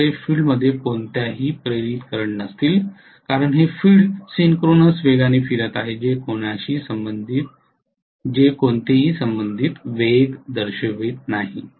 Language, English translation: Marathi, We will not have any induced current in the field because the field is rotating at synchronous speed, it will not show any relative velocity